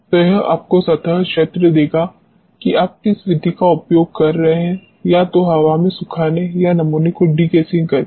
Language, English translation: Hindi, So, this will give you the surface area depending upon which method you are using either air drying or degassing of the sample